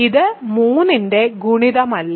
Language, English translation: Malayalam, So, this is not a multiple of 3